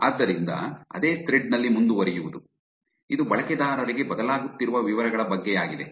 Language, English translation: Kannada, So, this is continue on the same thread which is about details changing for the users